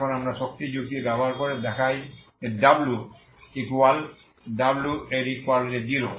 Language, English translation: Bengali, Now we use the energy argument to show that the w 1 is equal to w equal to 0